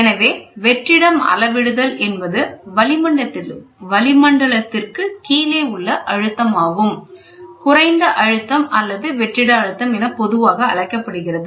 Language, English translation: Tamil, So, in measurement of vacuum, pressure below atmosphere are generally termed as low pressure or vacuum pressure, below the atmosphere